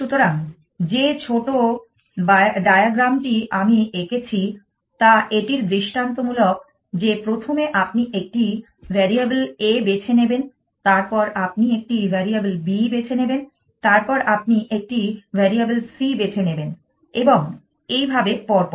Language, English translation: Bengali, So, that small diagram that I have drawn on there is illustrative of that, that first you choose a variable a, then you choose a variable b, then you choose a variable c and so on and so forth